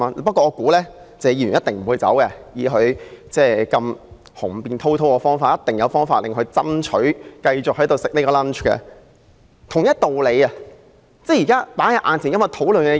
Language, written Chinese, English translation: Cantonese, "不過，我想謝議員一定不會離開，他如此雄辯滔滔，一定有方法爭取繼續在那裏享用午餐。, However I think Mr TSE certainly will not leave . Being such an eloquent speaker Mr TSE can surely argue them into letting him stay and continue to enjoy his lunch there